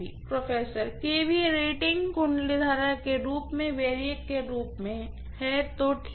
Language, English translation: Hindi, kVA rating and winding current as a variac, okay